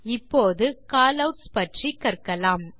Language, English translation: Tamil, Now, lets learn about Callouts